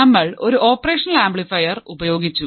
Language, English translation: Malayalam, We have used an operational amplifier